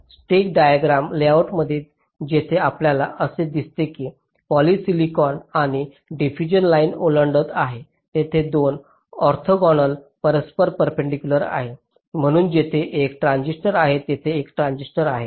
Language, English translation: Marathi, so in your stick diagram layout, wherever you find that a poly silicon and a diffusion line is crossing, there are two orthogonal, mutually perpendicular lines